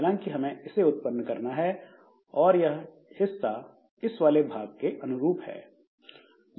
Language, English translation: Hindi, However, we need to create, so this is basically the portion corresponding to this part